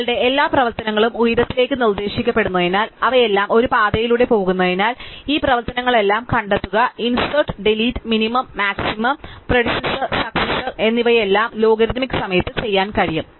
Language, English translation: Malayalam, And since all our operations or propositional to the height, because they all go along and one path, all these operation namely find, insert, delete, minimum, maximum, predecessor and successor can all be done in logarithmic time